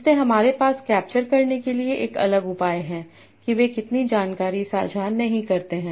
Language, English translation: Hindi, So we have a different measure for capturing how much information they do not share